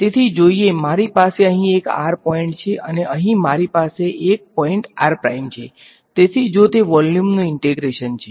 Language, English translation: Gujarati, So, this is let us say I have one point over here r I have one point over here r prime, so, if the volume of integration if it